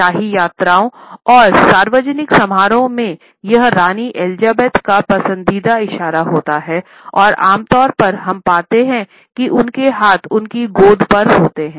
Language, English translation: Hindi, It is a favourite gesture of Queen Elizabeth when she is on royal visits and public appearances, and usually we find that her hands are positioned in her lap